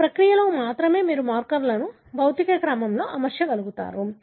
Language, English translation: Telugu, Only in this process you will be able to arrange the markers in the physical order